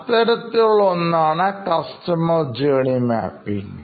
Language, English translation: Malayalam, And is something called customer journey mapping